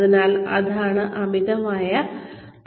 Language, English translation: Malayalam, So, that is over learning